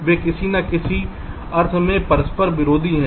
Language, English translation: Hindi, they are mutually conflicting in some sense